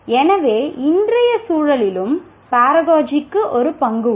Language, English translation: Tamil, So, Paragogy has a role in today's context as well